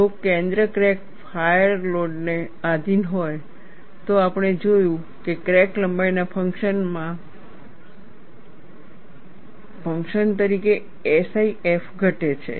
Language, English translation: Gujarati, If a center crack is subjected to a wedge load, we saw that SIF decreases as a function of crack length